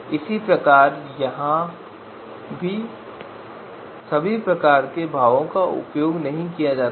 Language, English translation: Hindi, So similarly this you know here also the similar kind of expression has been used here